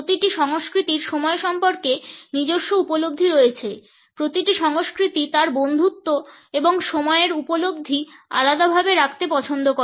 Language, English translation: Bengali, Every culture has his own perception of time every culture of his friendship and a perception of time in a separate light